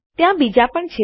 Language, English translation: Gujarati, There are more